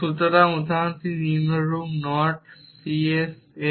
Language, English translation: Bengali, So, the example is as follows naught c’s x